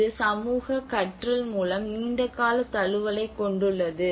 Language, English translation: Tamil, And this has a long term adaptation through social learning